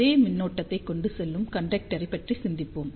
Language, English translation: Tamil, So, just think about same current carrying conductor